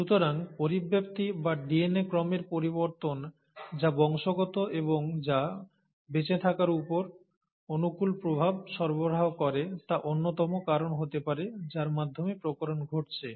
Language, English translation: Bengali, So mutation, or changes in DNA sequences which are heritable and which do provide favourable effect on to survival could be one of the reasons by which the variations are happening